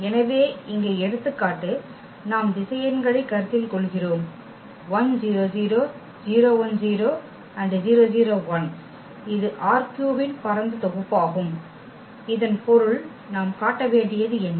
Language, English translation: Tamil, So, the example here we are considering the vectors 1 0 0, 0 1 0 and 0 0 1 this form a spanning set of R 3 meaning what we have to show